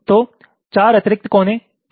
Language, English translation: Hindi, so what kind of four additional vertices